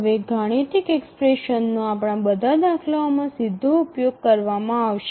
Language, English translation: Gujarati, So from now onwards all our examples we will use the mathematical expression directly